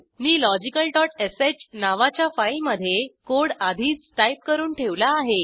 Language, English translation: Marathi, I have already typed the code in a file named logical.sh